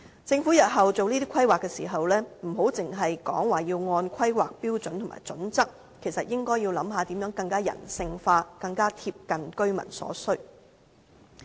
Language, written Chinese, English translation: Cantonese, 政府日後規劃時，不要只是說要根據《香港規劃標準與準則》行事，而應該考慮如何能夠更加人性化、更加貼近居民所需。, Rather than merely sticking with the Hong Kong Planning Standards and Guidelines the Government should consider how to have the human touch and better serve the residents needs in the future